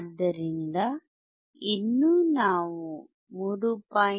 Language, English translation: Kannada, So, still we had 3